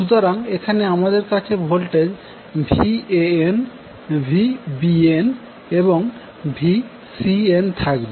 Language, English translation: Bengali, So, here we will have phase voltages as Van, Vbn, Vcn